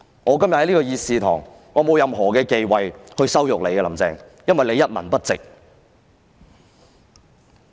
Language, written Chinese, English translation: Cantonese, 我今天在議事堂內羞辱她，並沒有任何忌諱，因為她一文不值。, Today I have no qualms about humiliating her in the Chamber because she is worthless